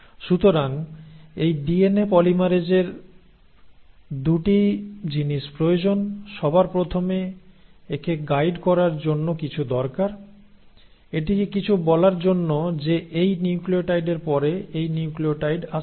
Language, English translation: Bengali, So what happens is this DNA polymerase needs 2 things, first and the foremost it needs something to guide it, something to tell it that after this nucleotide this nucleotide has to come